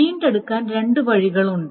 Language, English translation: Malayalam, So, there are two ways of recovering